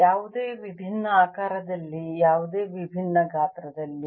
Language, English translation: Kannada, can be taken in an any different shape, any different size, right